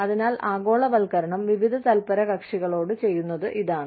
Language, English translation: Malayalam, So, this is what, globalization is going to different groups of stakeholders